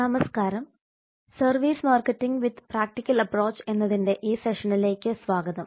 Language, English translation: Malayalam, hello there welcome to this session on services marketing with a practical approach my name is Dr